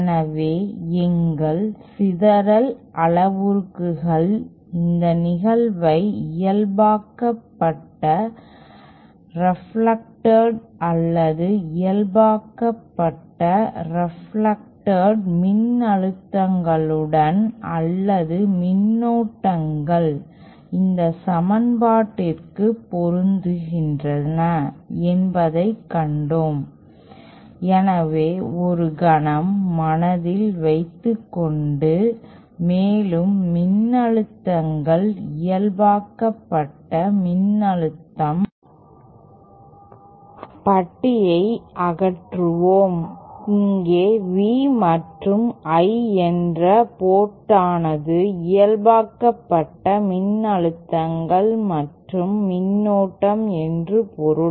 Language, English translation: Tamil, So we saw that our scattering parameters relate the incident to the reflected normalized reflected or normalized reflected voltages or currents suit this equation so with in mind let us for a moment and we also saw that the voltages, the normalized voltage, let us remove the bar here and just assume that V and I hence port means the normalized voltages and current